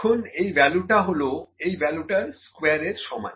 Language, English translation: Bengali, Now, this value is equal to square of this value